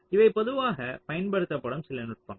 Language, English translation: Tamil, ok, so these are some of the techniques which are usually used